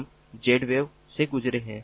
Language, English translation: Hindi, so i was talking about z wave